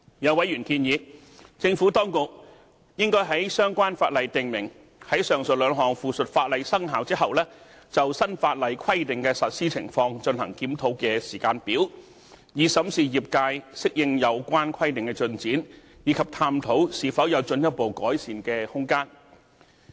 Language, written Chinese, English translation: Cantonese, 有委員建議，政府當局應該在相關法例訂明，在上述兩項附屬法例生效後，就新法例規定的實施情況進行檢討的時間表，以審視業界適應有關規定的進展，以及探討是否有進一步的改善空間。, A Member has suggested that the Administration should stipulate in the relevant legislation a timetable for conducting a review of the implementation of the new legislative requirements after the commencement of the two items of subsidiary legislation in order to examine the progress of adaptation to the requirements by the industry and to explore room for further improvement